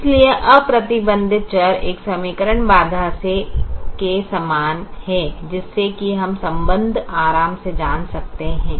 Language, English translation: Hindi, so the unrestricted variable corresponds to an equation constraints